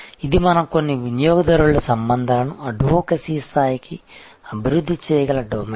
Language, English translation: Telugu, This is the domain from where we may be able to develop some customer relationships to the level of advocacy